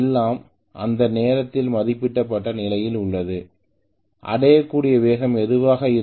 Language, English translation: Tamil, So everything is at rated condition at that point whatever is the speed that is being achieved is rated speed